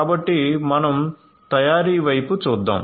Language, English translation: Telugu, So, let us look at manufacturing